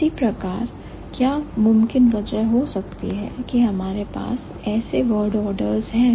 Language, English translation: Hindi, Similarly, what could have been the possible reason why we have the word orders like this